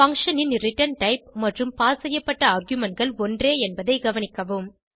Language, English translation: Tamil, Note that the return type of the function is same and the arguments passed are also same